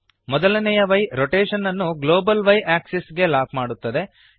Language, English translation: Kannada, The first y locks the rotation to the global y axis